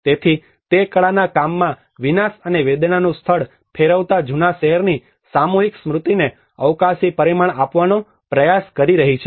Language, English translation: Gujarati, So he is trying to give a spatial dimension to the collective memory of the old city turning a place of devastation and pain into a work of art